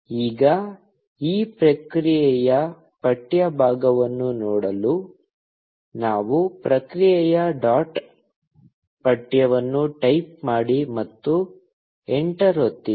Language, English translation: Kannada, Now, to see the text part of this response, we type response dot text, and press enter